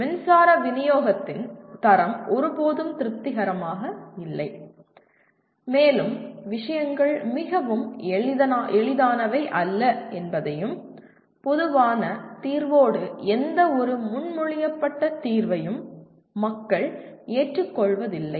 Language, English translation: Tamil, The quality of the power supply is never satisfactory and to solve that things are not very easy and people do not agree with a common solution/with any proposed solution